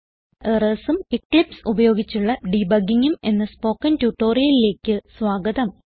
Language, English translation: Malayalam, Welcome to the tutorial on Errors and Debugging using Eclipse